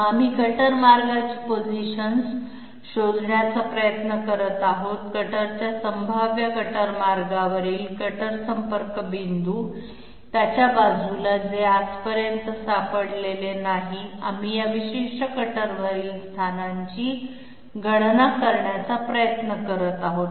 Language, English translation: Marathi, Then we are trying to find the positions of the cutter path, cutter contact points on the potential cutter path on by the side of it, which has not all not been found out up till now, we are trying to calculate the positions on this particular cutter path which will give us acceptable sidestep